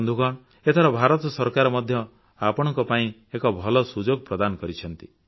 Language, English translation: Odia, Friends, this time around, the government of India has provided you with a great opportunity